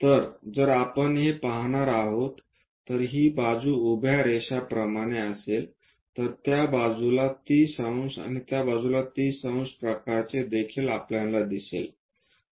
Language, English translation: Marathi, So, if we are going to look it this is the vertical line something like 30 degrees on that side and also on that side 30 degrees kind of representation we will see